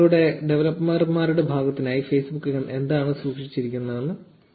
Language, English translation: Malayalam, We will see a glimpse of what Facebook has in store for the developer's side of you